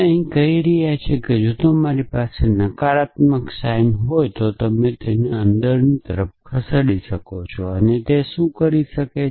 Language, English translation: Gujarati, Here we are saying that if you if you have a negation sign you can move it inside inwards towards the expression and what it does